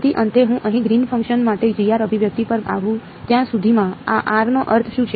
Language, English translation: Gujarati, So, finally, by the time I come to the expression for Green’s function over here G of r, what is the meaning of this r